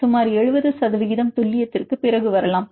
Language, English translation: Tamil, You can get around after up to an accuracy of about 70 percent